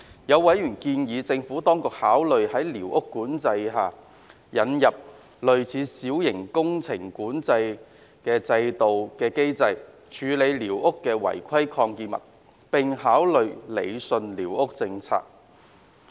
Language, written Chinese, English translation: Cantonese, 有委員建議政府當局考慮在寮屋管制制度下，引入類似小型工程監管制度的機制，處理寮屋的違規擴建物，並考慮理順寮屋管制政策。, Some members have suggested that the Administration should consider introducing a squatter control mechanism similar to MWCS to deal with the unauthorized extensions of squatter structures and rationalizing the squatter control policy